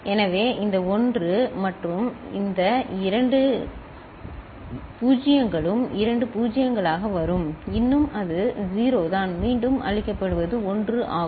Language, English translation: Tamil, So, these 1s and these two 0s will be coming as two 0s still it is 0, what will be fed back is 1